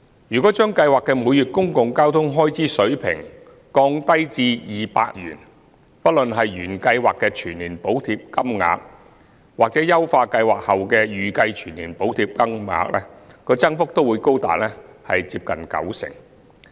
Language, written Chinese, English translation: Cantonese, 如將計劃的每月公共交通開支水平降低至200元，不論是原計劃的全年補貼金額，或優化計劃後的預計全年補貼金額，增幅都會高達接近九成。, If the level of monthly public transport expenses of the Scheme were to be lowered to 200 both the annual subsidy amount of the original Scheme and the estimated annual subsidy amount of the enhanced Scheme would increase by about 90 %